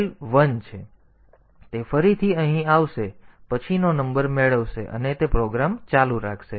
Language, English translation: Gujarati, So, it will again come here get the next number and it will do continue with the program